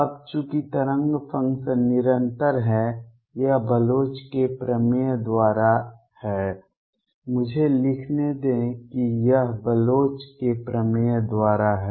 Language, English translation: Hindi, Now, since the wave function is continuous this is by Bloch's theorem, let me write that this is by Bloch's theorem